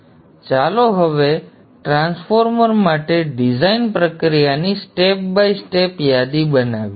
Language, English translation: Gujarati, So let us now list on step by step the design process for the transformer